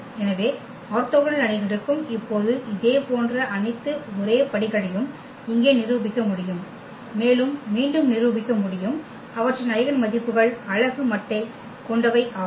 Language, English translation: Tamil, So, for orthogonal matrices also now we can prove thus the similar all absolutely all same steps here and we can again prove the there eigenvalues are also of unit modulus